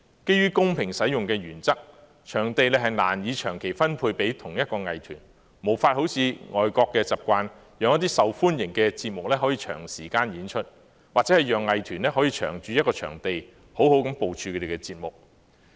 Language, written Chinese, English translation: Cantonese, 基於公平使用的原則，場地難以長期分配給同一藝團，無法好像外國的習慣，讓一些受歡迎的節目可以長時間演出，或者讓藝團可以長駐一個場地，好好部署他們的節目。, In light of the principle of fair use it is difficult to allocate a particular venue to the same art group for a long period of time to enable the long run of some popular shows or let art groups stay long at a particular venue to better organize their programmes which are the common practice among foreign countries